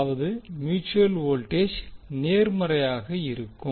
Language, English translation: Tamil, That means the mutual voltage will be positive